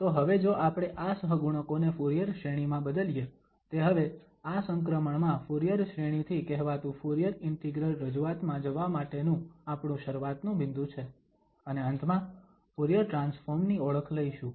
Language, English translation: Gujarati, So, now if we substitute these coefficients in the Fourier series, that is a starting point now for going to this transition from the Fourier series to so called Fourier integral representation and finally we will introduce Fourier transform